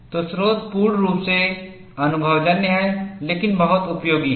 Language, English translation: Hindi, So, the origin is purely empirical, but very useful